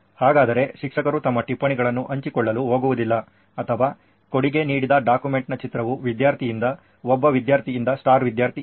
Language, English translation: Kannada, So does that mean that the teacher is not going to share their note with, or whose the picture of the document that is contributed is from the student, from A student, the star student